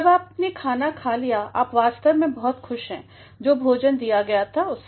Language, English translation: Hindi, Once you have had it, you are actually delighted with the delicacies that were offered